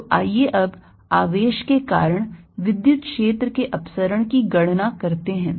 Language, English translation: Hindi, so let us know calculate the divergence of the electric field due to a charge